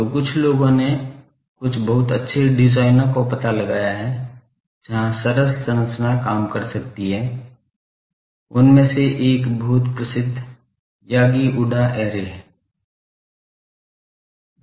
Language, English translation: Hindi, So, some of the people have found out some of the very good designs, where the simple structure can work, one of that is a very famous Yagi Uda array